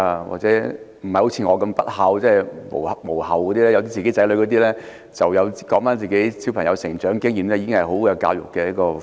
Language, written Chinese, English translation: Cantonese, 或者不像我這樣不孝而有子女的人，只要回顧自己子女的成長經驗，便已經是很好的教育題材。, People who are not as non - filial as I am may simply review the growth experience of their children which is already very good topic for a discussion on education